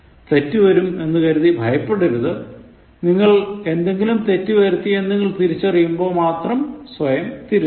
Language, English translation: Malayalam, And do not be afraid of making mistakes, you correct yourself only when you realize that you have made some mistakes